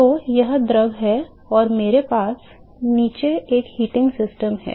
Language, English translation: Hindi, So, this is the fluid and I have a heating system below